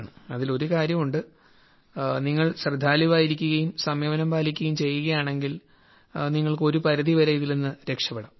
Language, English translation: Malayalam, And there is one thing that, if you are careful and observe caution you can avoid it to an extent